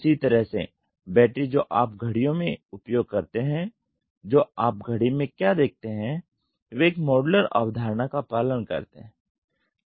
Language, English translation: Hindi, Same way the battery what you use in clocks what you use in watch they follow a modular concept